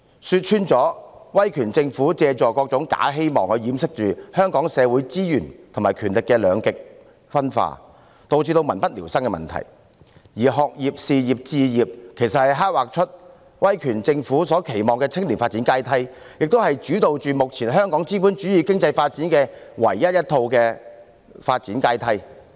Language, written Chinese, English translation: Cantonese, 說穿了，威權政府借助各種假希望掩飾香港社會資源和權力的兩極分化，以致民不聊生的問題，而"學業、事業和置業"其實是刻劃出威權政府所期望的青年發展階梯，也是主導目前香港資本主義經濟發展的唯一一套發展階梯。, To be forthright an authoritarian government has to seek recourse to various types of false hopes to conceal the problem of the polarization of resources and power in Hong Kong society that leads to great hardship for the public and education career pursuit and home ownership actually outlines the development ladder for young people favoured by an authoritarian government and at present this is also the only development ladder defining the development of the capitalist economy in Hong Kong